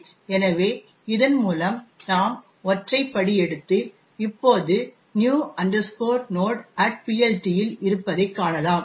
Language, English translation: Tamil, So, we can single step through that and see that we are now in the new node at PLT